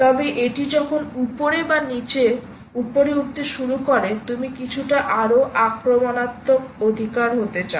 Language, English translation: Bengali, but when it starts moving up, either up or down, you want to be a little more aggressive, right